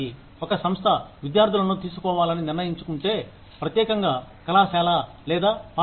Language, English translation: Telugu, If an organization decides to take in students, from a particular college or a school